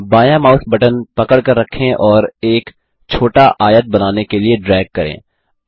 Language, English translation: Hindi, Hold the left mouse button and drag to draw a small rectangle